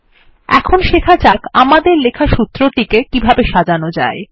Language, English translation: Bengali, Now let us learn how to format the formulae we wrote